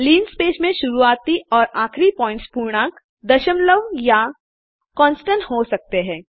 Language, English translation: Hindi, In linspace the start and stop points can be integers, decimals , or constants